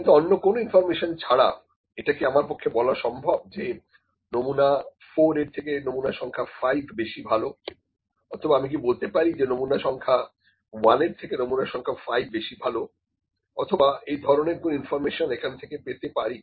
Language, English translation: Bengali, But is it possible can I say that sample number 5 is better than sample number 4 without any other information, can I say that sample number 5 is better than sample number 1 or can I draw any this kind of information from this, No